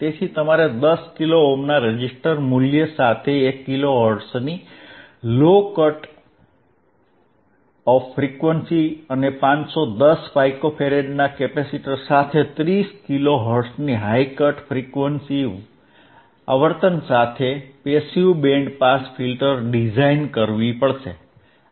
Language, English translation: Gujarati, Ppassive band pass filter with the low cut off frequency of 1 kilohertz with a resistor value of 10 kilo ohm, and high cut off frequency of 30 kilo hertz with a capacitor of 510 pico farad,